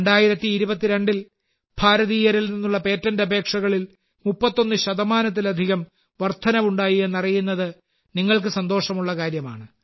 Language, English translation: Malayalam, You will be pleased to know that there has been an increase of more than 31 percent in patent applications by Indians in 2022